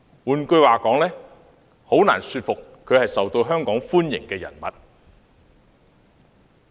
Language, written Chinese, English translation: Cantonese, 換言之，他的做法令人難以信服他是受香港歡迎的人物。, In other words his actions can hardly make him a welcome figure in Hong Kong